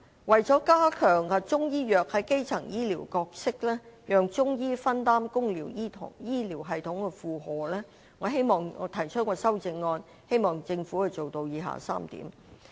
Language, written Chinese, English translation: Cantonese, 為加強中醫藥在基層醫療的角色，讓中醫分擔公營醫療系統的負荷，我提出修正案，希望政府做到以下3點。, In order to strengthen the role of Chinese medicine in primary health care so that Chinese medicine can share the burden of the public health care system I propose an amendment in the hope that the Government can fulfil the following three points